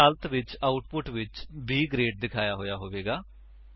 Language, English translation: Punjabi, In this case, the output will be displayed as B Grade